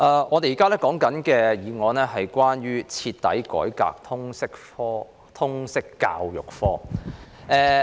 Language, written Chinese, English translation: Cantonese, 我們現在討論的議案是"徹底改革通識教育科"。, We are discussing the motion on Thoroughly reforming the subject of Liberal Studies